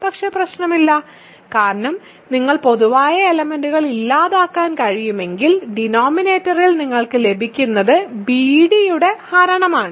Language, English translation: Malayalam, But does not matter because, if you cancel the common factors, what you will get in the denominator is something which is the divisor of b d